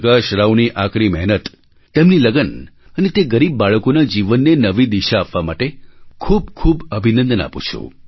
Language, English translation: Gujarati, Prakash Rao for his hard work, his persistence and for providing a new direction to the lives of those poor children attending his school